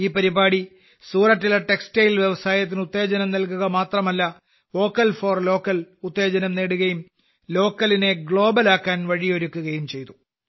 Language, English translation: Malayalam, This program not only gave a boost to Surat's Textile Industry, 'Vocal for Local' also got a fillip and also paved the way for Local to become Global